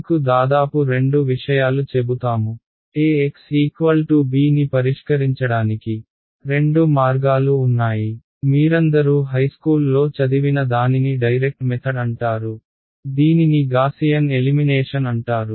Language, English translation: Telugu, I will just roughly tell you two things there are two ways of solving ax is equal to b; one is what is called direct method which you all have studied in high school it is called Gaussian elimination